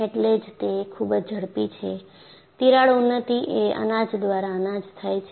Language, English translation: Gujarati, So, that is why it is very fast, the crack advancement is grain by grain